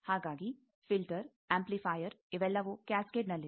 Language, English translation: Kannada, So, a filter an amplifier all they are in cascade